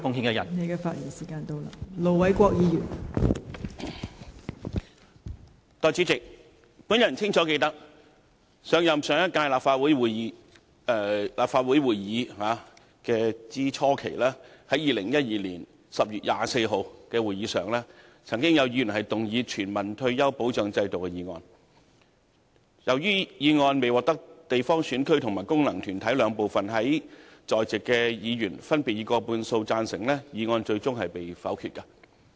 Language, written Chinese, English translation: Cantonese, 代理主席，我清楚記得，上屆立法會初期，在2012年10月24日的會議上，便曾經有議員動議"全民退休保障制度"議案，由於未獲得分區直選產生及功能團體選舉產生的兩部分在席議員分別以過半數贊成，議案最終被否決。, Deputy President I clearly remember that the motion on Universal retirement protection system moved by a Member at the meeting on 24 October 2014 was negatived since the question was not agreed by a majority of the two groups of Members present that is Members returned by functional constituencies and Members returned by geographical constituencies through direct elections